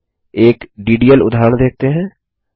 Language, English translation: Hindi, Next let us see a DDL example